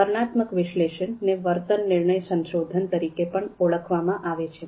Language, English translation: Gujarati, So this descriptive analysis is also sometimes referred as behavior decision research